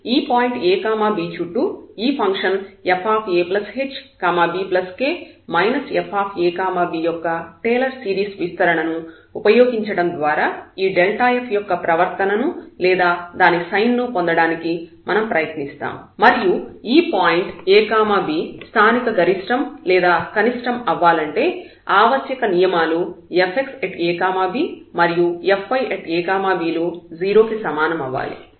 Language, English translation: Telugu, So, in that case we try to get the behavior of this delta f or rather the sign of this delta f by using the Taylor series expansion of this function fa plus h and b plus k around this ab point and from where we got the necessary conditions that to have that this point ab is a point of local maxima or minima, fx at this point ab has to be 0 and fy has to be 0